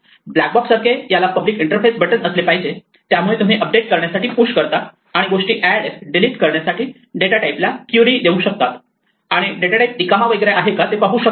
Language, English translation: Marathi, Like a black box has a public interface the buttons that you can push to update and query the data type to add things, delete things, and find out what whether the data type is empty and so on